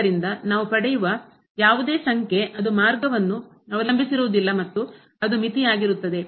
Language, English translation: Kannada, So, then whatever number we get that does not depend on the path and that will be the limit